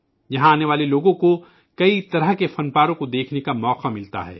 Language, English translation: Urdu, People who come here get an opportunity to view myriad artefacts